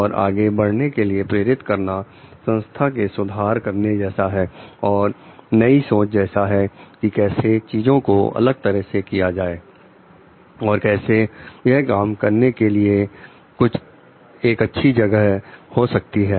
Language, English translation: Hindi, And like be inspired to move forward towards like the revamping the organization giving it a new face thinking how it can do things in a different way how like it can be a better place to work in